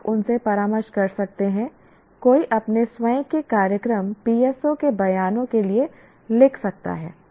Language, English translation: Hindi, You can consult them based on that one can write for one's own program the PSO statements